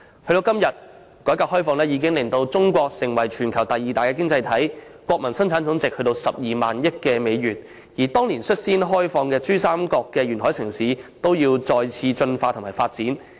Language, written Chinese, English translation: Cantonese, 時至今天，改革開放已令中國成為全球第二大經濟體，國民生產總值達12萬億美元，而當年率先開放的珠三角沿海城市，也要再次進化和發展。, Today with the opening up and reform over the years China has emerged as the worlds second largest economy with a very high Gross Domestic Product of US12,000 billion and there is now a need for pioneer cities in the coastal region of the Pearl River Delta to evolve and develop again